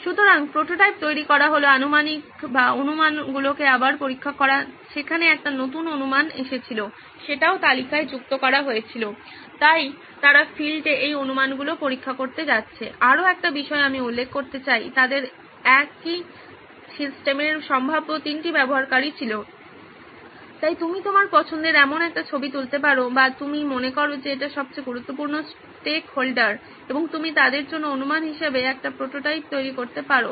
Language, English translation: Bengali, So prototyping building is to test the assumptions again there was a new assumption that came up, that was also added to the list, so they are going to go to the field to test these assumptions, one more point I would like to point out is they had now they have three potential users of the same system, so you can take a pic on which is your favourite or you think is the most important stakeholder in this and you can build a prototype for them, as the assumptions for them